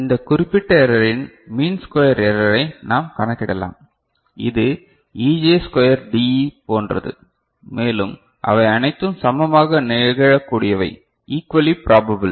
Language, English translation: Tamil, Then we can calculate the mean square error of it of this particular error, this is as Ej square dE, and it all of them are equally probable